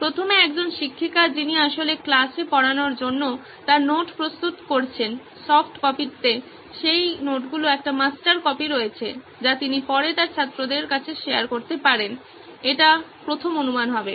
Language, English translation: Bengali, First one would be teachers who is actually preparing her notes to teach in the class has a master copy of that notes in a soft copy, which she can be sharing it to her students later, that would be assumption one